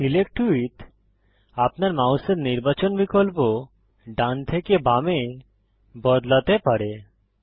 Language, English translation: Bengali, Select with can change the selection option of your mouse from right to left